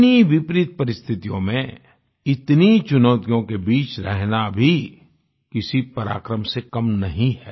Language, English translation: Hindi, Living in the midst of such adverse conditions and challenges is not less than any display of valour